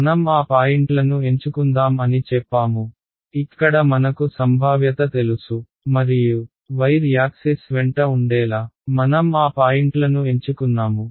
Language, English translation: Telugu, We had said let us choose those points, where I know the potential and I chose those points to be along the axis of the wire right